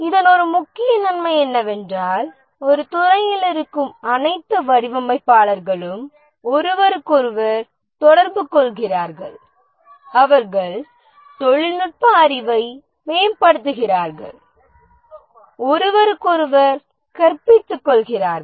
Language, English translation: Tamil, One of the major advantage of this is that all designers they are in a department and therefore they interact with each other, enhance their technical knowledge, educate each other and so on